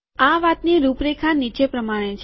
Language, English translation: Gujarati, The outline of this talk is as follows